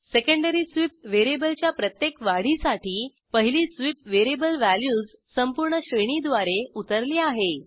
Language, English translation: Marathi, That is for every increment of secondary sweep variable, the first sweep variable is stepped through its entire range of values